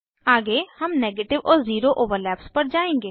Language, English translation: Hindi, Next, we will move to negative and zero overlaps